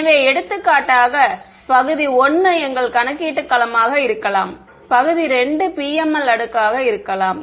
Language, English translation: Tamil, So, for example, region 1 could be our computational domain, region 2 could be the PML layer ok